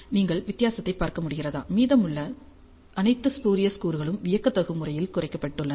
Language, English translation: Tamil, Can you see the difference; all the rest of the spurious components have been dramatically reduced